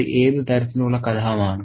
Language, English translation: Malayalam, What sort of conflict is it